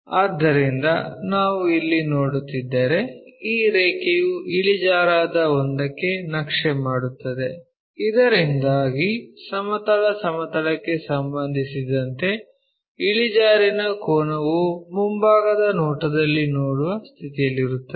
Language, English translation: Kannada, So, if we are seeing here, this line this line maps to an inclined one, so that inclination angle with respect to horizontal plane we will be in a position to see in the front view